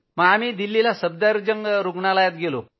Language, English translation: Marathi, We went to Safdarjung Hospital, Delhi